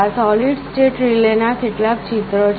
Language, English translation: Gujarati, These are some of the pictures of solid state relays